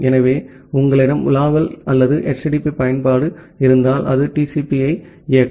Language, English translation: Tamil, So, if you are having a browsing or HTTP application that will run TCP